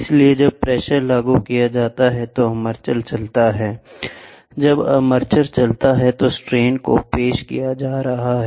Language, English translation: Hindi, So, as in when the pressure is applied, the armature moves, when the armature moves the strains are getting introduced, right